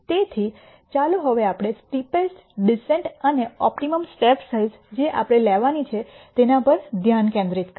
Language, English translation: Gujarati, So, let us now, focus on the steepest descent and the optimum step size that we need to take